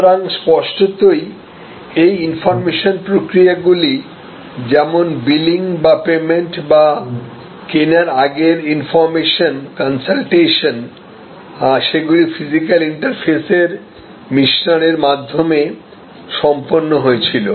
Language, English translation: Bengali, So, obviously these information processes like billing or payment or initial pre purchase information, consultation these were done through a mix of physical interfaces